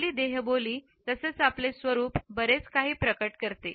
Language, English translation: Marathi, Our body language as well as our appearance reveal a lot